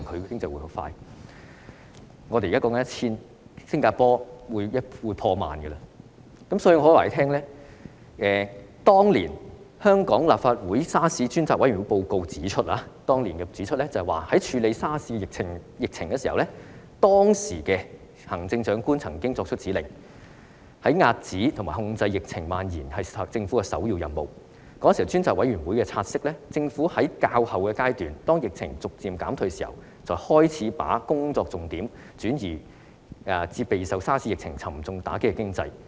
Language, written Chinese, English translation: Cantonese, 當年立法會調查政府與醫院管理局對嚴重急性呼吸系統綜合症爆發的處理手法專責委員會的報告指出，"在處理沙士疫情時，行政長官曾作出指令，指遏止及控制疫症蔓延是政府的首要任務......專責委員會察悉，政府只在較後階段，當疫情逐漸減退時，才開始把工作重點轉移至備受沙士疫情沉重打擊的經濟。, The report of the Select Committee to inquire into the handling of the Severe Acute Respiratory Syndrome outbreak by the Government and the Hospital Authority set up by the Legislative Council has pointed out the following In the handling of the SARS outbreak the Chief Executive directed that containing and controlling the spread of the disease should be the Governments top priority The Select Committee notes that it was only at the later stage when the epidemic was subsiding that the Government began to focus its attention on the economy which was dealt a heavy blow by the SARS epidemic